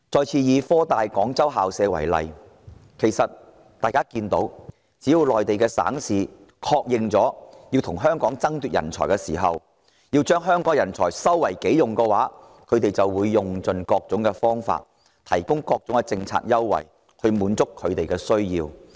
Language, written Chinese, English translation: Cantonese, 從科大設立廣州分校的例子可見，只要內地省市決定要與香港爭奪人才，把香港人才收為己用後，就會用盡各種方法，提供各種政策優惠來滿足這些人才的需要。, In the incident of HKUST setting up a Guangzhou campus it is clear that once Mainland provinces and municipalities decided to compete with Hong Kong for talent and tap Hong Kong talent for their own purposes they will use every possible means and offer all manners of policy concessions in a bid to meet the talents needs